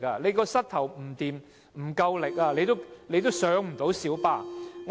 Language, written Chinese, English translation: Cantonese, 如果膝蓋不夠力，也很難登上小巴。, If their knees are not strong enough it is difficult for them to board light buses